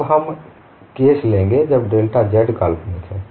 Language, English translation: Hindi, We are taking a case, when delta z is real